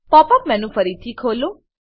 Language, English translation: Gujarati, Open the Pop up menu again